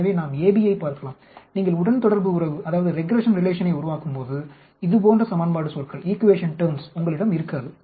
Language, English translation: Tamil, So we can look at ab, when you develop your regression relation you will not only have equation terms like this